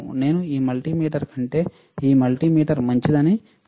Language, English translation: Telugu, I am not telling that this multimeter is better than this multimeter